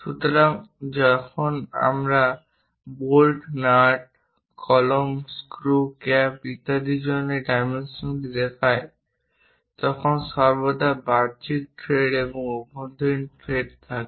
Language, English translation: Bengali, So, when you are showing these dimensioning for bolts, nuts, pen, screws, caps and other kind of things there always be external threads and internal threads